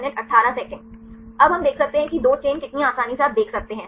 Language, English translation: Hindi, Now, we can see how many chains 2 easily you can see right